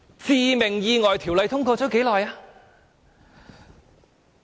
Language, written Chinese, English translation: Cantonese, 《致命意外條例》通過了多久？, For how long has the Fatal Accidents Ordinance been enacted?